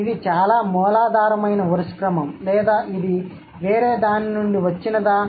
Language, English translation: Telugu, Is this the order which is the most rudimentary or it has come from something else